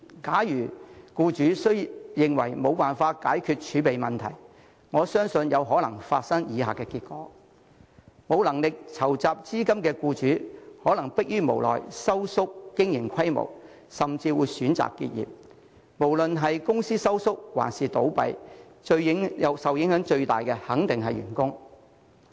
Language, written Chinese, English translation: Cantonese, 假如僱主認為無法解決儲備問題，我相信有可能會出現以下情況：無能力籌集資金的僱主，可能會逼於無奈縮減經營規模，甚至會選擇結業，而無論是公司縮減規模還是倒閉，受影響最大的肯定是員工。, If the employers find themselves incapable of resolving the reserve problem the following situations I believe may arise employers who are unable to raise such money may have no choice but to reduce the business scale or even fold the operation . Be it a reduction in the scale of the company or business closure those who are affected the most will definitely be the staff